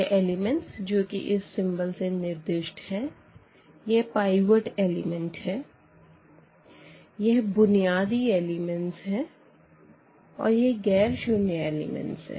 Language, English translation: Hindi, These are the; these are the pivot the pivotal elements and these are nonzero elements